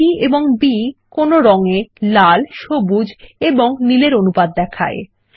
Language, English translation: Bengali, R,G and B stands for the proportion of red, green and blue in any color